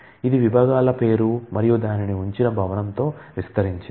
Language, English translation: Telugu, It is expanded with the departments name and the building in which it is housed